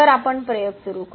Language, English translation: Marathi, So, we will start the experiment